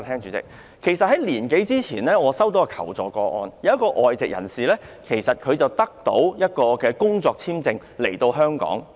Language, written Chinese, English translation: Cantonese, 主席，在一年多前，我接獲一宗求助個案，一名外籍專業人士獲工作簽證來港。, President about a year ago I received a case seeking help . A professional expatriate was granted a work visa to Hong Kong